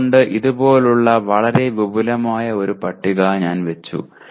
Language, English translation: Malayalam, So I put a very elaborate table like this